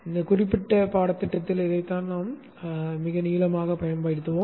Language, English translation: Tamil, This is what we will be using at great length in this particular course